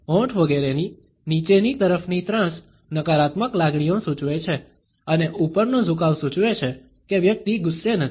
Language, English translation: Gujarati, The downward slant of lips etcetera suggests negative emotions and the upward tilt suggests that the person is not angry